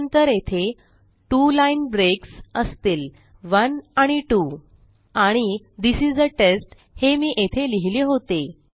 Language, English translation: Marathi, And then we have 2 line breaks which are present 1 and 2 And This is a test which is the text I put in there